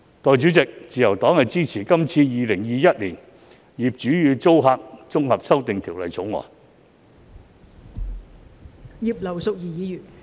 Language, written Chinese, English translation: Cantonese, 代理主席，我發言代表新民黨支持《2021年業主與租客條例草案》。, Deputy President on behalf of the New Peoples Party I speak in support of the Landlord and Tenant Amendment Bill 2021 the Bill